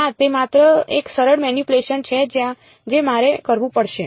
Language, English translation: Gujarati, No right it is just some simple manipulation that I have to do